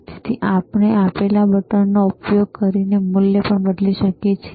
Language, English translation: Gujarati, So, we can also change the value using the buttons given